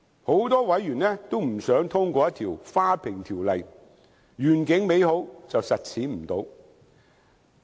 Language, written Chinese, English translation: Cantonese, 很多委員都不想通過一項"花瓶條例"——願景美好，實踐不到。, Many members do not want to see the passed Bill only serve as a decorative vase with beautiful vision that can never accomplish